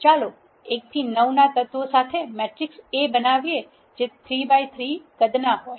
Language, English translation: Gujarati, Let us create a matrix A with the elements 1 to 9 which is of 3 bite 3 size